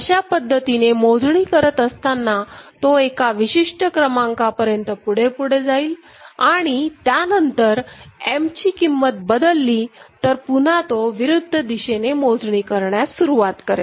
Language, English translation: Marathi, So, while it is counting, it has counted up to a particular level value, then you are changing M, then again it will start counting in the opposite direction